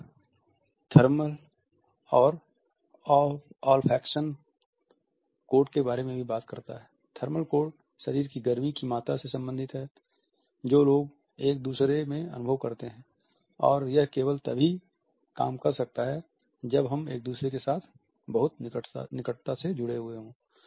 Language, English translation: Hindi, Then he also talks about the thermal and the olfaction codes; thermal code is related with the amount of body heat which people perceive in each other and it can function only when we are very closely positioned with each other